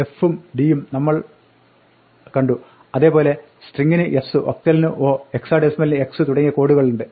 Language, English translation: Malayalam, We saw f and d, so there are codes like s for string, and o for octal, and x for hexadecimal